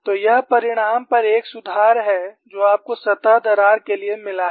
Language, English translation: Hindi, So, this is an improvement over the result what you have got for the surface crack